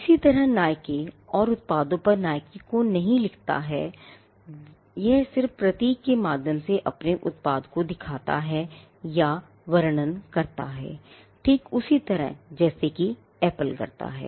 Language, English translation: Hindi, Similarly, for Nike: Nike does not anymore right Nike on its products, it just shows or describes its product through the symbol, just like the way in which Apple does